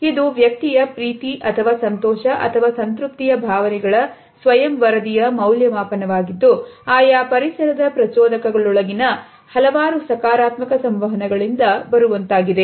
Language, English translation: Kannada, It is an individual’s, self reported evaluation of feelings of love or joy or pleasure and contentment and it comes from several positive interactions within environmental stimuli